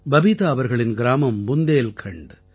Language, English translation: Tamil, Babita ji's village is in Bundelkhand